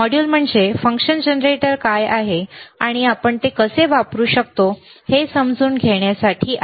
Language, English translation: Marathi, tThe module is to understand that what is function generator is and how we can use it, all right